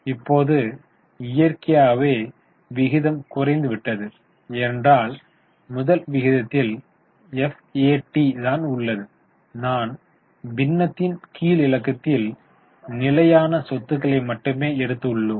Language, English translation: Tamil, Now, naturally the ratio has gone down because in the first ratio that is FAT we had taken in the denominator only fixed assets